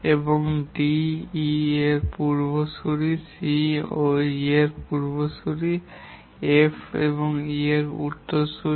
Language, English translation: Bengali, And D is a predecessor of E, C is also a predecessor of E and F is a successor of E